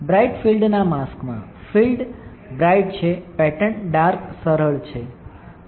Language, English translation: Gujarati, In bright field mask, field is bright; pattern is dark easy right